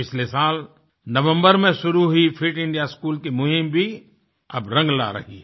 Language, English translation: Hindi, The 'Fit India School' campaign, which started in November last year, is also bringing results